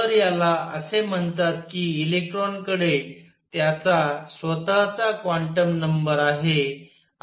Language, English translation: Marathi, So, this is called electron has a quantum number of it is own